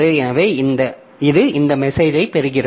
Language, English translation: Tamil, So, it receives this message